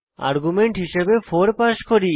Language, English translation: Bengali, Then we pass an argument as 4